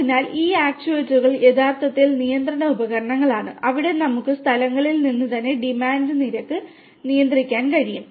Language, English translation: Malayalam, So, these actuators are actually control devices where we can where we can control the rate of demand from the locations itself